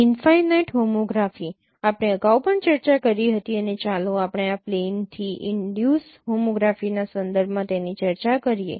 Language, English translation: Gujarati, Infinite homography we discussed earlier also and let us discussed it in the context of this plane induced homography